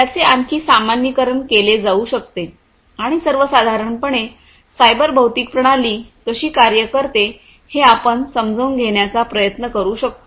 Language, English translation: Marathi, So, this could be generalized further and we can try to understand how, in general, a cyber physical system is going to work